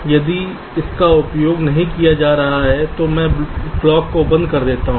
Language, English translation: Hindi, if it is not been used, i switch off the clock